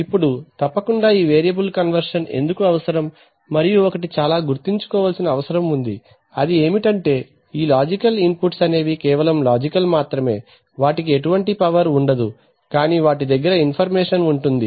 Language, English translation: Telugu, Now obviously what is necessary for this there is variable conversion necessary and generally one thing is very much necessary is that these logical inputs are just logical they do not have power, they have the information